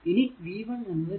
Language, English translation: Malayalam, So, v 1 will be 2 plus 2